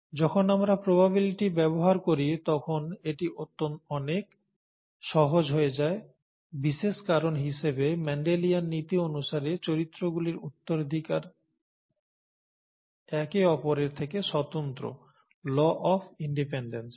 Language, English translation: Bengali, It becomes much easier when we use probabilities, especially because, according to Mendelian principles, the inheritance of characters are independent of each other, okay, law of independence